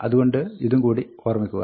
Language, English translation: Malayalam, So, just remember that